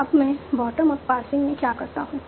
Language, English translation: Hindi, Now what do I do in bottom up passing